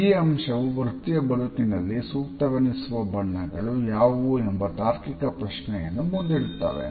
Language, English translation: Kannada, This finding brings us to the next logical question and that is what may be the suitable colors for professional contexts